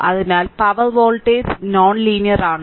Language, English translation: Malayalam, So, power voltage is non linear